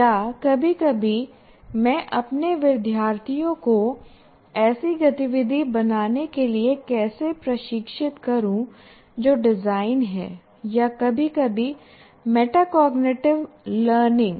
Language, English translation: Hindi, Or sometimes how do I train my students for create activity that is design or sometimes metacognitive learning